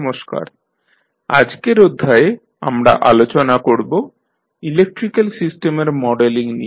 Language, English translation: Bengali, Namashkar, so, in today’s session we will discuss the modeling of electrical system